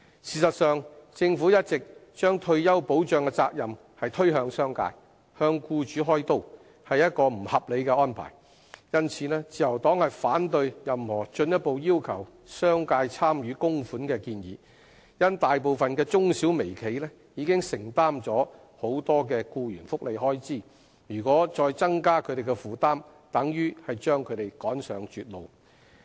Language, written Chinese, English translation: Cantonese, 事實上，政府一直把退休保障的責任推向商界，向僱主開刀，是不合理的安排，因此自由黨反對任何進一步要求商界參與供款的建議，因為大部分中小微企已承擔了很多僱員福利開支，如果再增加他們的負擔，等於把他們趕上絕路。, As a matter of fact it is unreasonable of the Government to always shift the responsibility of retirement protection to the business sector and employers . The Liberal Party opposes any proposal that requires further contribution by the business sector as most micro small and medium enterprises are already shouldering heavy expenses on employee benefits any increase in their burden will only force them out of business